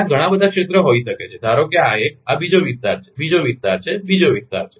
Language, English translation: Gujarati, It may have so many areas, suppose this one, this is another area, another area, another area